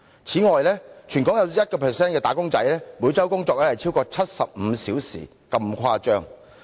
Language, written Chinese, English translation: Cantonese, 此外，全港有 1% 的"打工仔"每周工作更超過75小時，情況相當誇張。, Besides 1 % of Hong Kongs wage earners even work for more than 75 hours a week . This is really outrageous